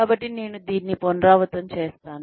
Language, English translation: Telugu, So, I will repeat this